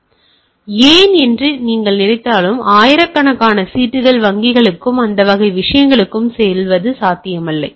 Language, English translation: Tamil, So, why that is whether you think that they are it is not possible that thousands of slips are going to banks and type of things